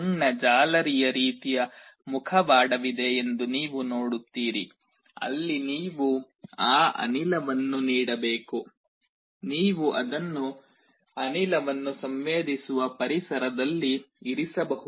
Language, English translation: Kannada, You see there is a small mesh kind of a mask where you have to give that gas, you can put it in the environment where you are sensing the gas